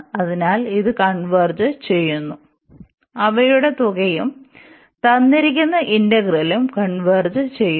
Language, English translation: Malayalam, So, it convergence and then both the sum converges and the original the given integral converges